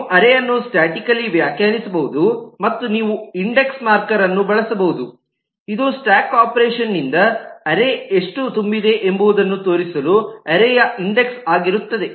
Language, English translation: Kannada, You can statically define an array and you can use an index marker which will keep an index of the array to show how much the array has been filled up by the stack operation